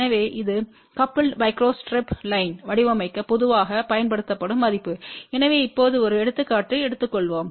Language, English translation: Tamil, So, this is the value which is generally use for designing the coupled micro strip line , so let just take a example now